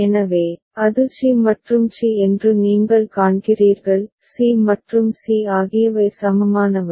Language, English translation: Tamil, So, you see that it is c and c; c and c are equivalent